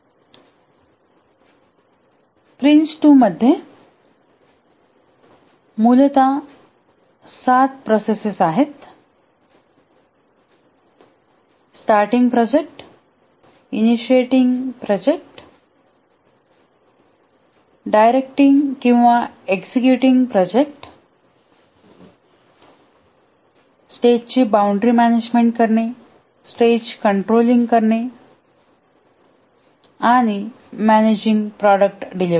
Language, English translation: Marathi, There are essentially seven processes in Prince II, the project starting processes, initiating processes, directing processes, managing a stage boundary, controlling a stage and managing product delivery